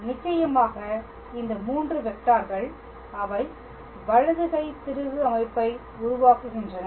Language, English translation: Tamil, And of course, these 3 vectors they form a right handed screw system